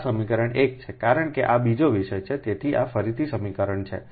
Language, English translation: Gujarati, this is equation one, because this is a second topic